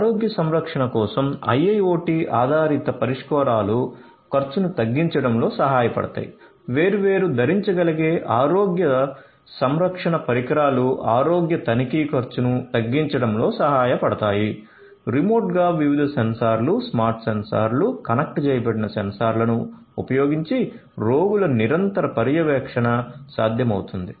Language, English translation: Telugu, IIoT based solutions for health care can help in reducing the expenditure; different wearable health care devices can help in reducing the cost of health checkup; remote continuous monitoring of patients using different sensors, smart sensors, connected sensors would be made possible